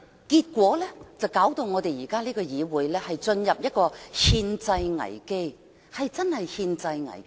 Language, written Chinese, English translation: Cantonese, 結果，現在我們的議會落入了憲制危機，真的是憲制危機。, As a result this Council of ours is now confronting with a constitutional crisis a genuine constitutional crisis